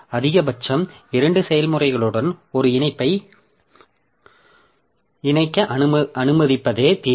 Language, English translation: Tamil, Solution is to allow a link to be associated with at most two processes